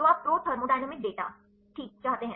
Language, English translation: Hindi, So, you want pro thermodynamic data ok